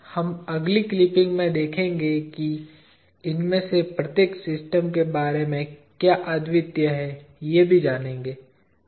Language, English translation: Hindi, We will see what is unique about each of these systems in the next clipping